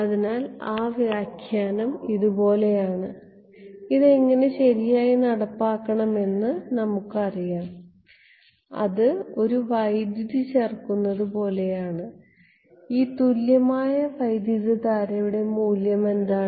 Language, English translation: Malayalam, So, that interpretation is like this is just like a we know how to implement it right it is like adding a current and what is the value of this equivalent current